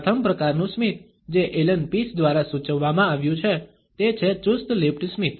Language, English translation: Gujarati, The first type of a smile which has been hinted at by Allen Pease is the tight lipped smile